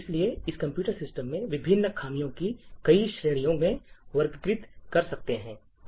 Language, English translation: Hindi, So, we could actually categorise the different flaws in a computer system in multiple categories